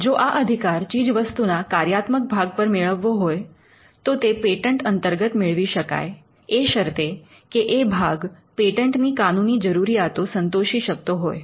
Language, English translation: Gujarati, If it is the functional aspect of the product, then it should be protected by a patent provided it satisfies the requirements in patent law